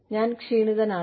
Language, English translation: Malayalam, I am tired